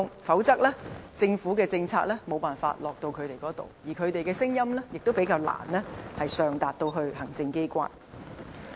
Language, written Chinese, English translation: Cantonese, 否則，政府的政策無法落到他們身上，而他們的聲音亦會較難上達行政機關。, Otherwise the Governments policy will not be able to reach them and their voices will unlikely be heard in the hierarchy